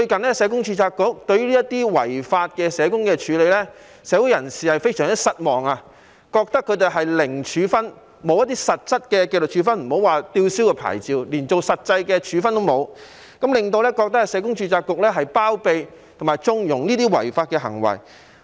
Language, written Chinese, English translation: Cantonese, 可是，註冊局最近對這些違法社工的處理，令社會人士非常失望，覺得他們面對的是"零處分"，並沒有實質的紀律處分，莫說是被吊銷牌照，就連實際的處分也沒有，令人覺得註冊局包庇及縱容這些違法行為。, However recently the handling of these social workers engaging in unlawful acts by the Board has made the public extremely disappointed . Members of the public think that these social workers are facing zero punishment and no concrete disciplinary action . There is not any real punishment not to mention the cancellation of their registration